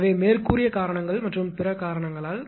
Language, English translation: Tamil, So, because of the afore mentioned reasons and others